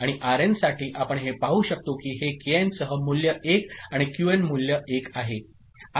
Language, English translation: Marathi, And for Rn, we can see that it is Kn remaining value with 1 and Qn with value 1, so it is Kn Qn ok